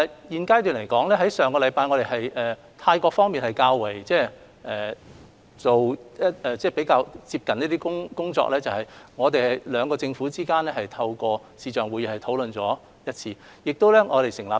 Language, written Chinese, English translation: Cantonese, 現階段來說，於上星期，泰國方面是進行了較為接近的工作，而兩地的政府也透過視像會議進行了一次商討。, At this stage we have conducted a closer discussion with the Thai government since last week . The two governments held a discussion session via video conferencing and we have set up an inter - departmental team